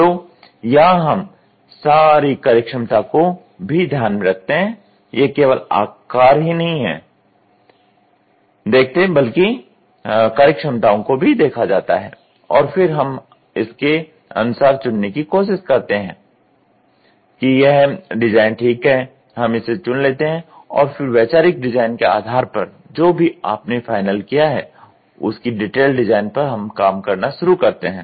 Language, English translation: Hindi, So, here we put all the functionality also, it is not the same size alone we also put all the functionalities and then we try to choose ok this design is ok, we start choosing it and then based on the conceptual design whatever you have frozen we start working on detail design